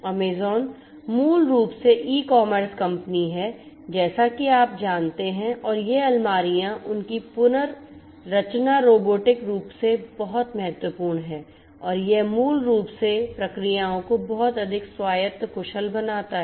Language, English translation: Hindi, Amazon basically is the e commerce company as you know and this shelves and their rearrangement robotically is very important and that basically makes the processes much more autonomous, efficient and so on